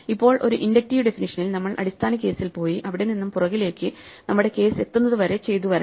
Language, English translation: Malayalam, Now it is very clear that in an inductive definition, we need to get to the base case and then work ourselves backwards up from the base case, to the case we have at hand